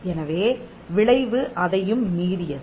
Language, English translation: Tamil, So, the effect is beyond that